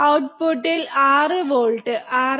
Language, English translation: Malayalam, We see about 6 volts 6